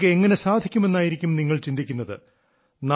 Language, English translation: Malayalam, You must be thinking how all this will be possible